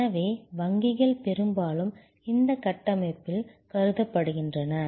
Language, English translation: Tamil, So, banks are often considered in this configuration